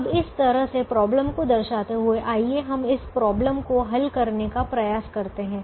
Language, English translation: Hindi, now, having represented the problem this way, let us try to solve this problem